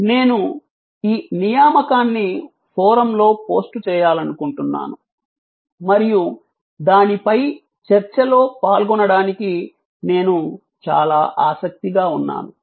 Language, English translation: Telugu, And I would like this assignment to be posted on the forum and discussions on that in which I would be very glad to participant